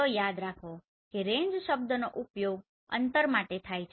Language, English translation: Gujarati, So remember range term is used for distance right